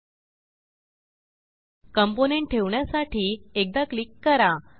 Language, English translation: Marathi, To place component click once